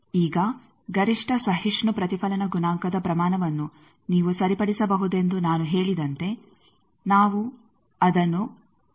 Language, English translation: Kannada, Now, again as I say that you can fix up what is the maximum tolerable reflection coefficient magnitude let us call that gamma m